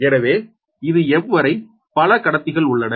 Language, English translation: Tamil, so this is the array of m conductors